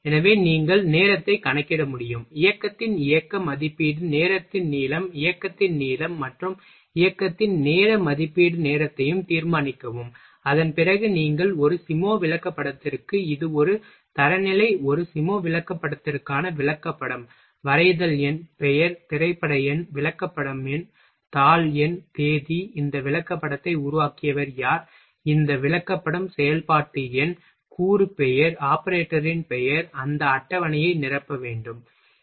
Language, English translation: Tamil, So, that you can count the time, judge the length of motion estimate time of the motion ok, length of the motion and time estimate time of the motion after that you will have to fill that table for a SIMO chart this is a one standard chart for a SIMO chart, you have to mention drawing number, name, film number, chart number, sheet number, date, who is who made this chart who is approved this chart, operation number, component name, name of the operator ok